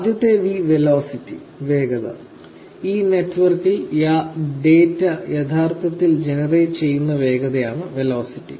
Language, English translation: Malayalam, The first is Velocity; velocity is the speed in which the data actually getting generated on these networks